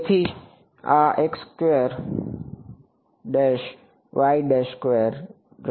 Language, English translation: Gujarati, This is the